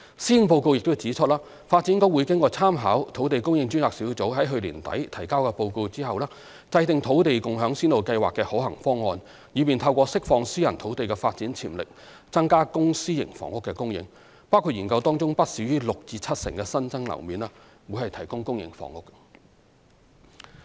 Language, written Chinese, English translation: Cantonese, 施政報告亦指出，發展局會在參考土地供應專責小組在去年年底提交的報告後，制訂"土地共享先導計劃"的可行方案，以便透過釋放私人土地的發展潛力，增加公、私營房屋的供應，包括研究當中不少於六至七成新增樓面提供公營房屋。, It is also pointed out in the Policy Address that DEVB will formulate feasible arrangements for the Land Sharing Pilot Scheme after drawing reference from the report submitted by the Task Force on Land Supply Task Force at the end of last year so as to unleash the development potential of private land for increasing the supply of public and private housing including considering the provision of public housing with not less than 60 % to 70 % of the increased floor area